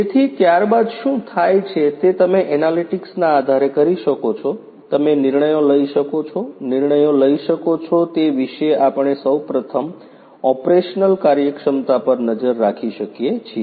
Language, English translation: Gujarati, So, thereafter what happens is you can based on analytics, you can make decisions, decisions about the first of all you know we can monitor the operational efficiency